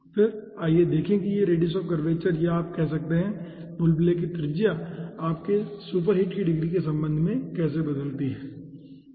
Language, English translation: Hindi, okay, then let us see that how ah this radius of curvature, or you can say the ah radius of a bubble, ah varies with respect to your degree of superheat